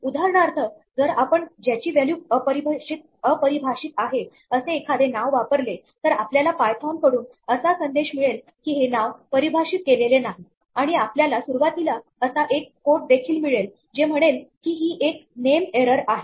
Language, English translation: Marathi, For instance, if we use a name whose value is undefined then we get a message from python that the name is not defined and we also get a code at the beginning of the line saying this is a name error